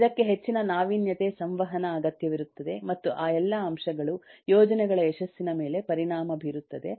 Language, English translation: Kannada, it requires great deal of innovation, interaction, communication, and all those factors impact the success of the projects